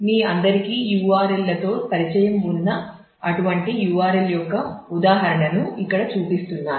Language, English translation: Telugu, So, here I am showing an example of such a URL all of you be familiar with URLs